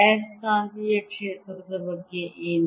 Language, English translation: Kannada, what about the magnetic field